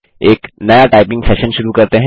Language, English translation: Hindi, Lets begin a new typing session